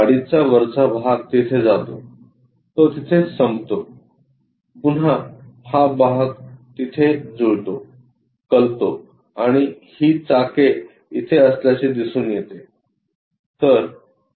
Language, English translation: Marathi, The top portion of the car goes there, it ends there, again this portion matches there an incline and this wheels turns out to be here